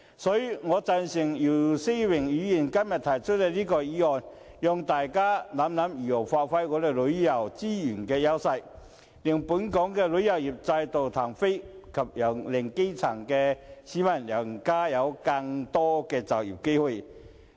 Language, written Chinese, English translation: Cantonese, 所以，我贊成姚思榮議員今天提出的這項議案，讓大家想想如何發揮香港旅遊資源的優勢，令本港旅遊業再度起飛，以及令基層的市民有更多就業機會。, Therefore I support Mr YIU Si - wings motion today which enables us to consider how we can give full play to the edges of local tourism resources so that our tourism industry can take off again and provide the grass roots with more employment opportunities